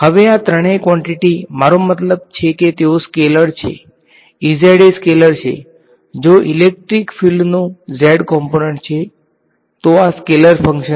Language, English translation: Gujarati, Now, each of these three quantities I mean they are scalars right E z is the scalar if the z component of the electric field, so this is the scalar function right